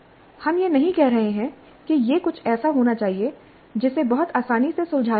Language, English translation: Hindi, We are not saying that it should be something which can be solved very easily